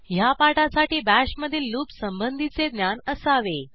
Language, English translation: Marathi, To learn this tutorial, you should be familiar with loops in Bash